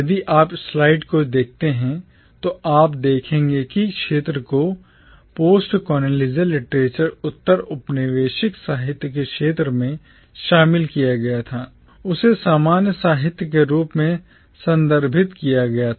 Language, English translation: Hindi, If you look at the slide then you will see that the first area which got incorporated within the field of postcolonial literature was referred to as “commonwealth literature”